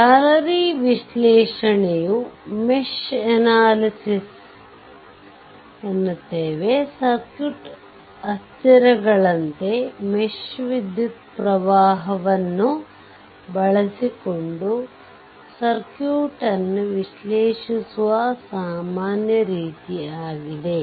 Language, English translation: Kannada, So, mesh analysis is a general proceed your for analyzing circuit using mesh current as the ah circuit variables